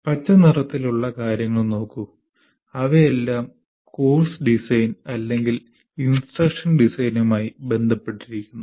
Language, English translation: Malayalam, So, if you look at these things in green color, they are all related to course design or what we call instruction design